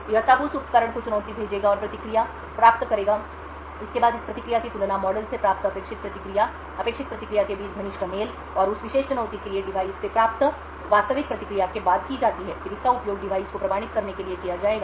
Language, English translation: Hindi, It would then send out the challenge to this device and obtain the response; it would then compare this response to what is the expected response obtained from the model, close match between the expected response and the actual response obtained from the device for that particular challenge would then be used to authenticate the device